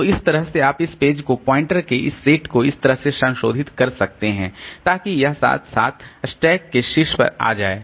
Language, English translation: Hindi, So, that way you can modify this page, this set of pointers so that this event comes to the top of the stack